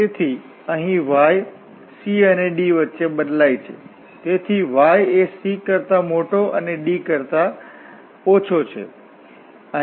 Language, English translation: Gujarati, So, here y varies between c and d so y is bigger than c and the less than d